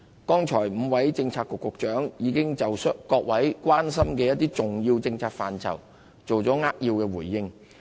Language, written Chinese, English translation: Cantonese, 剛才5位政策局局長已經就各位關心的一些重要政策範疇作出扼要回應。, Five of our Policy Bureau Directors have just now given their concise replies on some policy areas that are of concern to Members